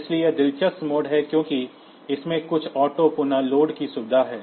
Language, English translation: Hindi, So, this is interesting mode because this has got some auto reload facility